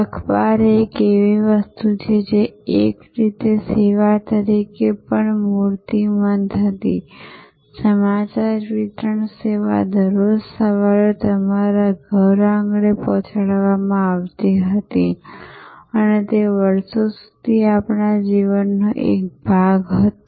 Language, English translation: Gujarati, So, newspaper was a product which was also in a way embodied a service, news delivery service was delivered at your doorstep every morning and it was part of our life for years